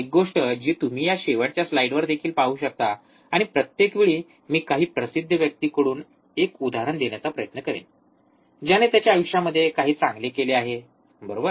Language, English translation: Marathi, One thing that you can see on this last slide also and every time I will try to bring one quote from some famous guy who has done something good in his life, right